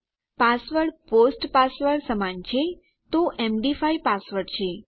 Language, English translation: Gujarati, password equals to POST password so md5 is the password